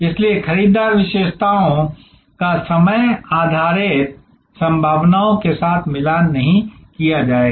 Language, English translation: Hindi, So, buyer characteristics will be the matched with the time based possibilities